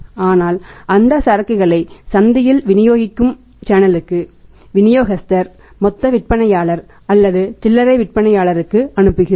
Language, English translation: Tamil, But we are converting passing on that inventory to the channel of distribution in the market to the distributor, wholesaler, and retailer